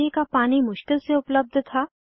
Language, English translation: Hindi, Drinking water was scarcely available